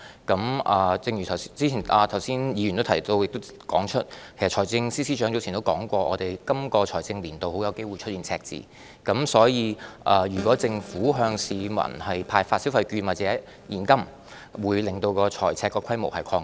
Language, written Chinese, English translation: Cantonese, 議員剛才亦指出，其實財政司司長早前已表示，今個財政年度有機會出現赤字，所以，如果政府向市民派發消費券或現金，便會令財赤規模擴大。, As pointed out just now by the Honourable Member the Financial Secretary has actually remarked earlier that we will likely have a deficit for the current year and thus issuing consumption vouchers or handing out cash to the public by the Government will lead to an increase in the fiscal deficit